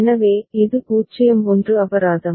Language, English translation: Tamil, So, this is 0 1 fine